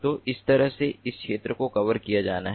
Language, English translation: Hindi, so a region like this has to be covered